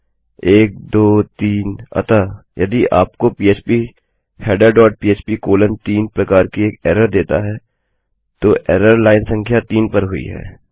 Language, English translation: Hindi, 1, 2, 3 so if it gives you an error like phpheader dot php colon 3, then the error has occurred on the line no